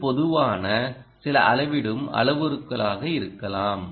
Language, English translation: Tamil, it could be some typical some parameter that it is measuring